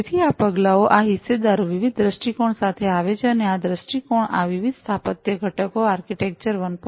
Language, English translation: Gujarati, So, these step these stakeholders come up with different viewpoints and these viewpoints essentially help in coming up with these different architectural components architecture 1